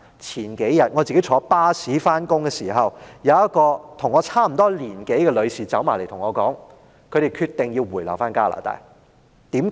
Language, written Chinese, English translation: Cantonese, 我數天前坐巴士上班的時候，有一位與我年齡相近的女士走過來對我說，他們決定回流加拿大。, A few days ago when I rode on a bus to work a lady of about my age came to me and said that she had decided to return to Canada